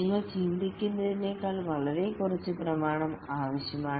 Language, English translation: Malayalam, You need far less documentation than you think